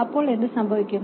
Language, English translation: Malayalam, Then what should happen